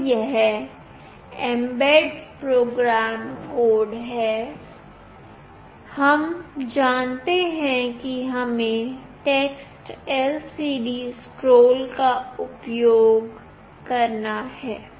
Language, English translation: Hindi, So, this is the mbed program code, we know that we have to use TextLCDScroll